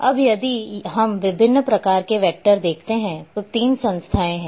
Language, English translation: Hindi, Now, if we see different types of vectors there are 3 entities are there